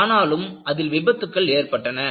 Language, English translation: Tamil, But, there were accidents